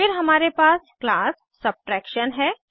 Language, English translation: Hindi, Then we have class Subtraction